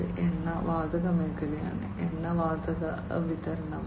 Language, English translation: Malayalam, It is in the oil and gas sector, supply of oil and gas